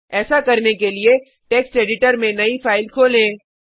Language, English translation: Hindi, To do so open the new file in Text Editor